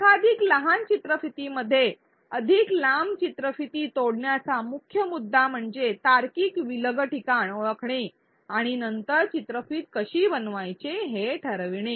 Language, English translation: Marathi, The key point in breaking up a longer video into multiple smaller videos is to identify logical break points and then decide how to chunk the videos